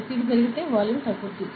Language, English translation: Telugu, So, if pressure increases volume decreases